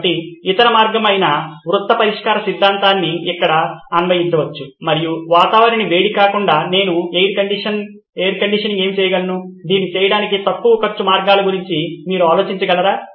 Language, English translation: Telugu, So the other way round solution can be applied here and can I instead of heating the environment which is what the air conditioning will do, can you think of lower cost ways to do it